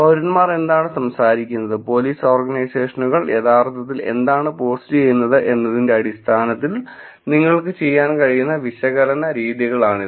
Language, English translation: Malayalam, So, these are things that you can do this is the types of analysis that you can do in terms of what citizens are talking about, what police organizations are actually posting